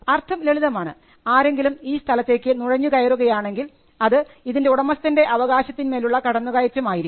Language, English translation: Malayalam, It simply means that, if somebody intrudes into the property that is a violation of that person’s right